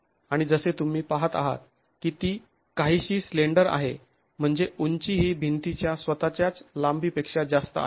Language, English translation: Marathi, And as you can see, it's rather slender, meaning the height is more than the length of the wall itself